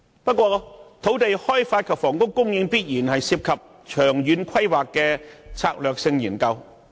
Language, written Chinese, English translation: Cantonese, 不過，土地開發及房屋供應必然涉及長遠規劃的策略性研究。, However land development and housing supply certainly involve the strategic study of long term planning